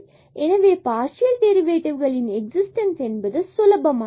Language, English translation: Tamil, So, the existence of partial derivatives again it is easier